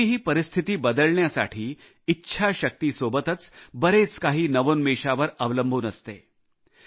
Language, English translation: Marathi, In order to change circumstances, besides resolve, a lot depends on innovation too